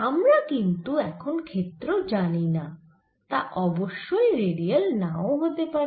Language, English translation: Bengali, now i don't know what the field is, but certainly need not be radial